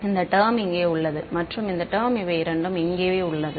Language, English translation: Tamil, So, this term over here and this term over here these are both